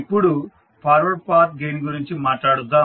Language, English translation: Telugu, Now, let us talk about Forward Path Gain